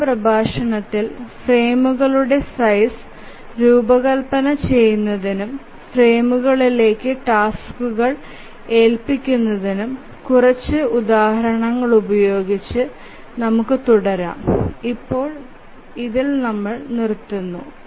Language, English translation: Malayalam, We'll start with few examples of designing the frame size and assignment of tasks to the frames in the next lecture